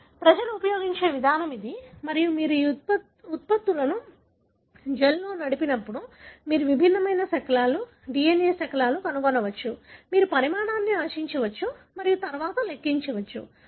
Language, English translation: Telugu, So, this is the approach people use and when you, obviously when you run these products in a gel you are going to find distinct fragment, DNA fragments you can expect the size and then calculate